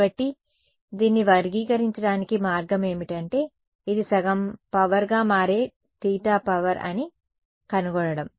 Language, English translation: Telugu, So, the way to characterize this is to find out that theta at which this becomes half the power is a power right